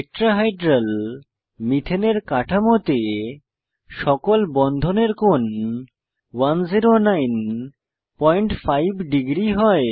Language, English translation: Bengali, In Tetrahedral methane structure, all the bond angles are equal to 109.5 degree